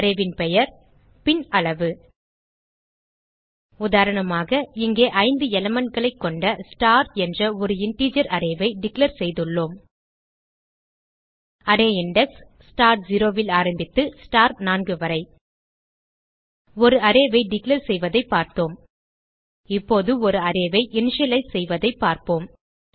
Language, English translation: Tamil, The Syntax for this is: data type name of the array and size example, here we have declare an integer array star which contain 5 elements The array index will start from star 0 to star 4 We saw the declaration of an array Now, we will see the initialize of an array